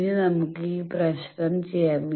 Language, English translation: Malayalam, Now let us do this problem